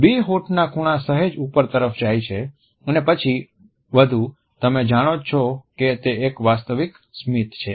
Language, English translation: Gujarati, See the two lip corners going upwards first slightly and then even more you know that is a genuine smile